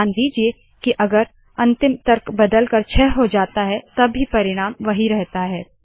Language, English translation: Hindi, Note that if the ending argument changes to 6 the result remains the same